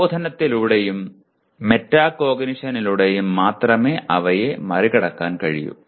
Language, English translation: Malayalam, And that they can only be overcome through instruction and metacognition